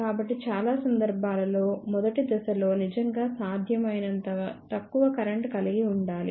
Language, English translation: Telugu, So, that is why most of the time the first stage should really have a small current as possible